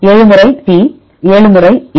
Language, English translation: Tamil, 7 times T 7 times A